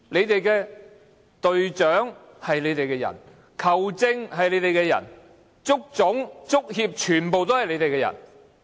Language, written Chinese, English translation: Cantonese, 現在隊長是你們的人、球證是你們的人，足總、足協全部都是你們的人。, The captain the referee and the staff of the football association are all your people